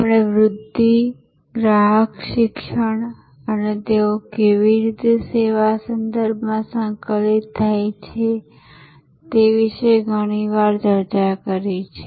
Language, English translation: Gujarati, We have also discussed about promotion, customer education and how they are integrated in service context very often